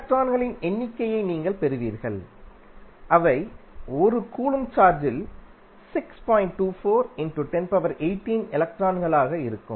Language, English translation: Tamil, You will come to you will get number of electrons which would be there in 1 coulomb of charge